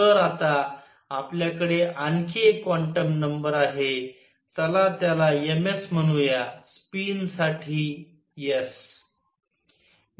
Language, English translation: Marathi, So now, we have one more quantum number; let us call it m s, s for a spin